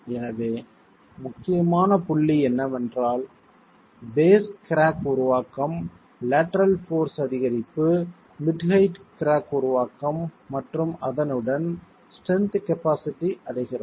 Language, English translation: Tamil, So, the critical points are formation of the base crack, increase in lateral force, formation of the mid height crack and with that the strength capacity is reached